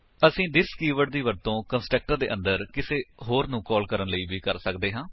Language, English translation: Punjabi, We can use this keyword inside a constructor to call another one